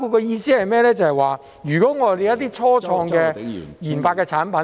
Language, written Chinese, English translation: Cantonese, 意思是說，如果我們有一些初創的研發產品......, In other words if we have some products developed by start - ups